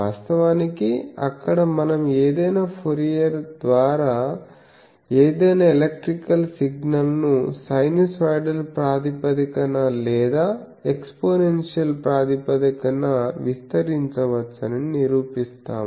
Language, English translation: Telugu, Where actually we do that any were actually Fourier prove that any electrical signal can be expanded in a sinusoidal basis or exponential basis etc